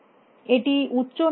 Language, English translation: Bengali, Is it high or low